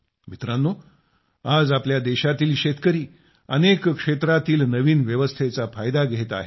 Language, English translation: Marathi, Friends, today the farmers of our country are doing wonders in many areas by taking advantage of the new arrangements